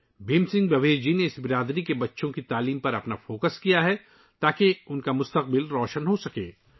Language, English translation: Urdu, Bhim Singh Bhavesh ji has focused on the education of the children of this community, so that their future could be bright